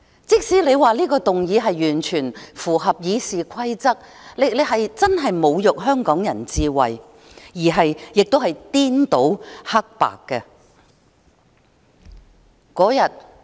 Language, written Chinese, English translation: Cantonese, 即使你說這項議案完全符合《議事規則》，但你確實侮辱香港人智慧，同時也是顛倒了是非黑白。, Even though you say that this motion is totally in line with the Rules of Procedure you are indeed insulting the intelligence of Hong Kong people and at the same time you are also reversing right and wrong